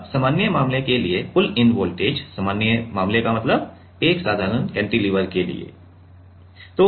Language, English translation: Hindi, Now for pull in voltage for the usual case, usual case means for a simple cantilever for a simple cantilever like this